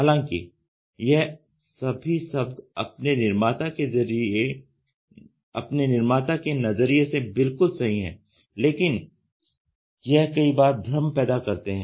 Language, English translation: Hindi, Although each of the name is perfect from the special viewpoint of its creator many of these causes confusion ok